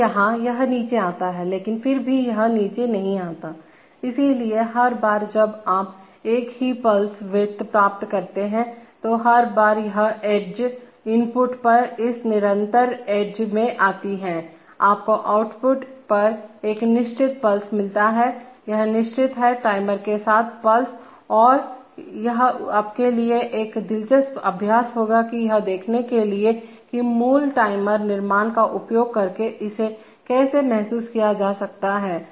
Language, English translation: Hindi, And here it comes down but still this does not come down, so every time you get the same pulse width, so every time this edge, comes this ongoing edge at the input, you get a fixed pulse at the output, this is the fixed pulse with timer and it will be an interesting exercise for you to see how this can be realized using a basic timer construct